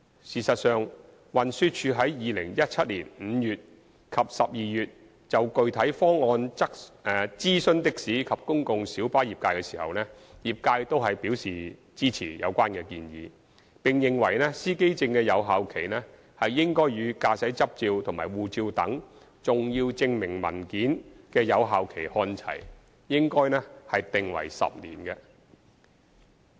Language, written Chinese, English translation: Cantonese, 事實上，運輸署在2017年5月及12月就具體方案諮詢的士及公共小巴業界時，業界均表示支持有關建議，並認為司機證的有效期應與駕駛執照和護照等重要證明文件的有效期看齊，應訂為10年。, In fact when the Transport Department TD consulted the taxi and PLB trades on the specific proposal in May and December 2017 both the trades expressed support for the proposal and opined that the validity period of driver identity plates should be aligned with that of important identification documents such as driving licences and passports; that is it should be set at 10 years